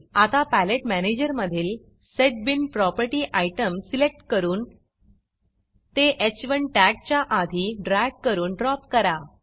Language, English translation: Marathi, Now from the Palette manager, Select a setbean property item, drag it and drop it to a point just before the h1 tags And click on OK